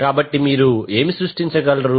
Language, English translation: Telugu, So what you can create